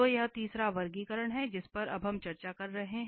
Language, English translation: Hindi, So, this is the third classification which we have, which we are discussing now